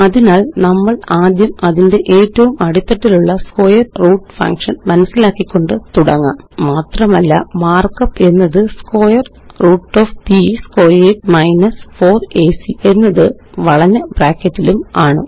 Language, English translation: Malayalam, So we will first write the inner most square root function And the mark up is square root of b squared 4ac in curly brackets